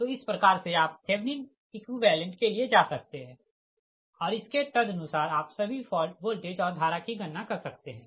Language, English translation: Hindi, so this way we can, i mean this way you can go for your, what you call that thevenin equivalent and accordingly you can compute all the all the fault voltages and the current